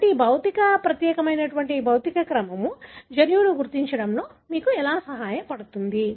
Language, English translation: Telugu, So, how this particular physical order helps you to identify the gene